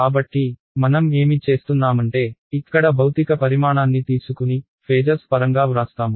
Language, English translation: Telugu, So, what I do is I keep I take my physical quantity over here that is E and I write it in terms of phasor